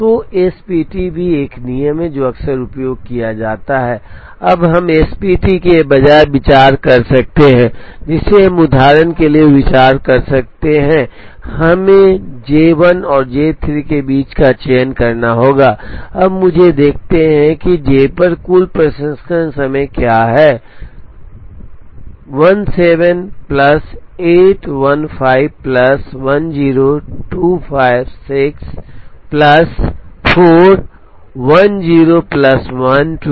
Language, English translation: Hindi, So, SPT is also a rule that is often used, now we could consider instead of SPT we could have considered for example, we have to choose between J 1 and J 3, now let me look at what is the total processing time on J 1, 7 plus 8 15 plus 10, 25, 6 plus 4 10 plus 12, 22